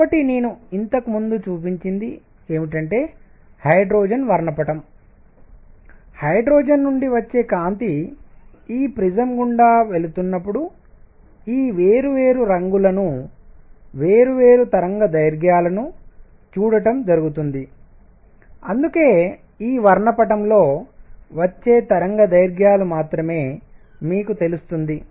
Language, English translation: Telugu, So, what I showed you earlier, the hydrogen spectrum when the light coming out of hydrogen was passed through this prism one saw these different colors, different wavelengths that is how you know only these wavelengths come in this is spectrum